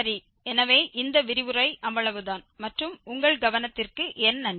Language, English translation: Tamil, Well, so that is all for this lecture and I thank you for your attention